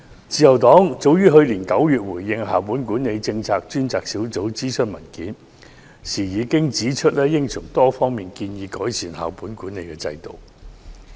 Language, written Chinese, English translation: Cantonese, 自由黨去年9月回應校本管理政策專責小組諮詢文件時指出，應從多方面改善校本管理制度。, When the Liberal Party responded to the consultation document of the Task Force on School - based Management Policy last year we stated that the school - based management system should be improved in many ways